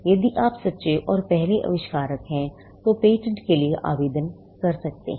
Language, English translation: Hindi, So, first you have the true and first inventor; can apply for a patent